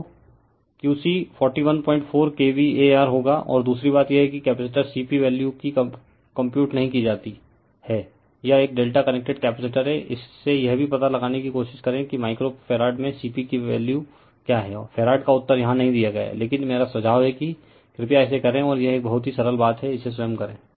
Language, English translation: Hindi, 4kVAr , and and another thing is there the capacitor C P value not computed here, it is a delta connected capacitor from this also you try to find out what is the value of C P right a capacity in micro farad that answer is not given here, but I suggest you please do it and this one is very simple thing you do it upto your own right